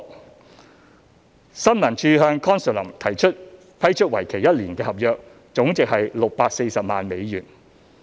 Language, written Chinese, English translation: Cantonese, 三新聞處向 Consulum 批出為期一年的合約，總值為640萬美元。, 3 The total value of the one - year contract awarded to Consulum by ISD was about US6.4 million